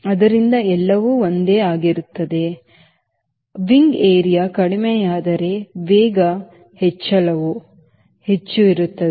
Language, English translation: Kannada, so everything, even if same, if the wing area reduces, then the speed increase will be more